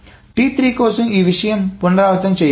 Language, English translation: Telugu, And for T3, the redoing of this thing needs to be done